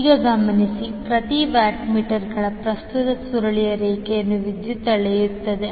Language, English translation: Kannada, Now notice that the current coil of each watt meter measures the line current